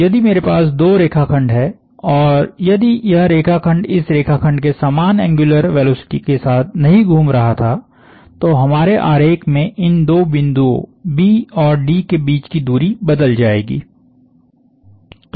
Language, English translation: Hindi, So, if I have two line segments and if this line segment was not rotating with the same angular velocity as this line segment, then the position the distance between these two points in our schematic B and D would change